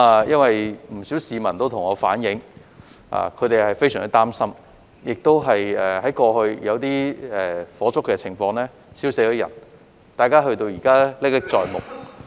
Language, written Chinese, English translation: Cantonese, 不少市民也向我反映他們相當擔心，因為過去曾經發生火燭，亦有人被燒死了，大家至今仍然歷歷在目。, Many members of the public have also relayed to me that they are very worried because there were fires broken out in the past and some people were burnt to death which is still fresh in their minds